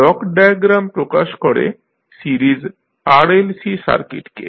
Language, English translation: Bengali, So, this block diagram will represent the series RLC circuit